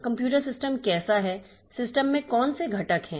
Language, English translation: Hindi, How the computer system is what are the components in the system